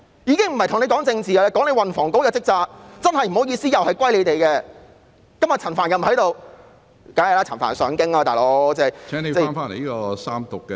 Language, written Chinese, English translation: Cantonese, 我不是跟局長談政治，而是談運房局的職責——真的不好意思，責任又歸於他們，今天陳帆又不在席，當然，陳帆要上京......, I am not talking politics with the Secretary but about the duties of THB―I am really sorry that the responsibility lies with THB . Frank CHAN is not present today; of course he has to go to Beijing